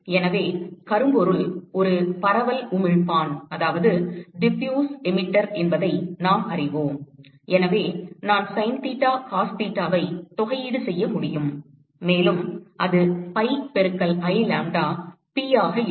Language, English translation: Tamil, So, we know that black body is a diffuse emitter therefore, I can simply integrate the sin theta cos theta, and that will lead to there will be pi into I lambda, p